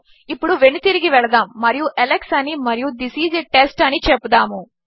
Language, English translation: Telugu, Lets go back and say Alex and This is a test